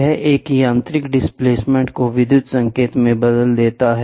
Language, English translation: Hindi, It transforms a mechanical displacement into an electrical signal